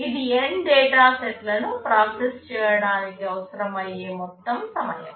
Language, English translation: Telugu, This will be the total time to process N data sets